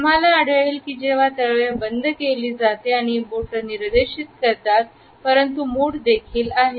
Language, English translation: Marathi, We would find that when the palm has been closed and the fingers are pointing, but the fist is also there